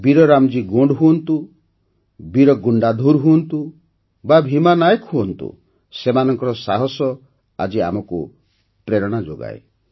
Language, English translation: Odia, Be it Veer RamJi Gond, Veer Gundadhur, Bheema Nayak, their courage still inspires us